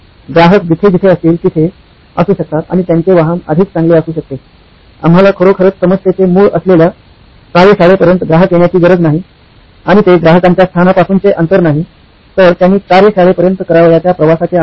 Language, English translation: Marathi, So the customer could be wherever they are and their vehicle could be better, we do not need the customer to come all the way to the workshop which is the root of the problem really, and that it is not the distance from customer location but distance that the customer travels